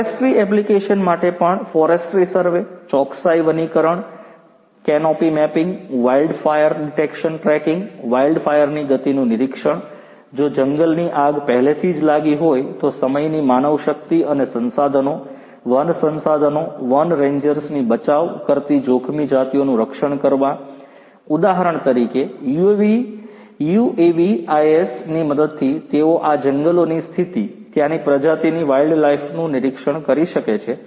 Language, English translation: Gujarati, For forestry applications also forestry survey, precision forestry, canopy mapping, wildfire detection tracking, monitoring of speed of wildfire; if a wildfire has already taken place, protecting endangered species saving the time manpower and resources, forest resources, you know forest rangers for example, you know with the help of UAVs they can monitor the condition of these forests, the species the wildlife that is there